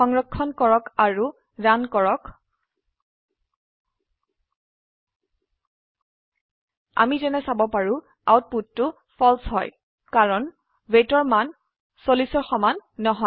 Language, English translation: Assamese, Save and Run As we can see, the output is False because the value of weight is not equal to 40